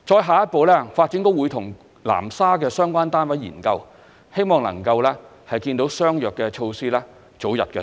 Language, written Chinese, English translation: Cantonese, 下一步，發展局會與南沙的相關單位研究，希望能夠早日推出相約的措施。, In the next step the Development Bureau will explore with the relevant authorities of Nansha if similar measures can be implemented as early as possible